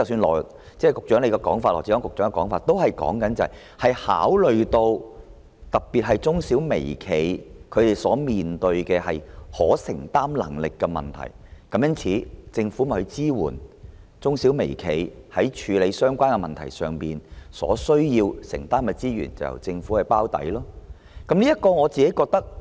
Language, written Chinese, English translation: Cantonese, 羅致光局長剛才說，考慮到特別是中小微企的承擔能力，政府會對中小微企在處理相關問題上所需承擔的資源提供支援，並由政府"包底"。, As stated by Secretary Dr LAW Chi - kwong earlier in consideration of the affordability of enterprises in particular micro small and medium enterprises the Government will financially support such enterprises in handling the relevant issues and undertake to underwrite the shortfall